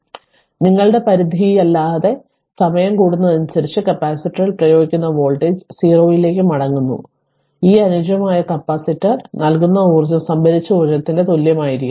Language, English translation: Malayalam, So, the voltage applied to the capacitor returns to 0 as time increases without your limit, so the energy returned by this ideal capacitor must equal the energy stored right